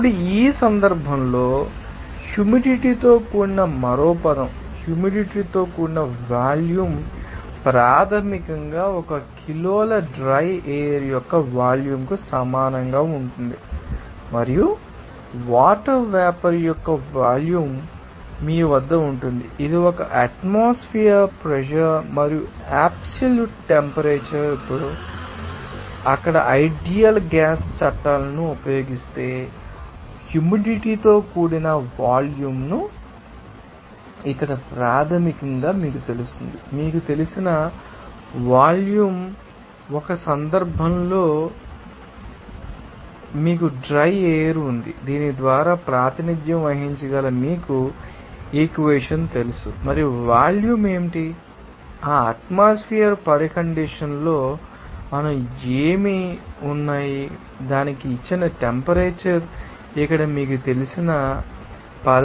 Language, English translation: Telugu, Now, another term in this case humid volume now, the humid volume is basically equal to the volume of one kg of dry air plus volume of the water vapor that it contains at you know what one atmospheric pressure that is absolute pressure and the given temperature there now, if you use that ideal gas laws there the humid volume can be represented as here basically what will be the you know volume of, you know one case you have dry air that can be represented by this you know equation and also what is the volume of that what are we part at that atmospheric condition and temperature given to that can be expressed by this you know term here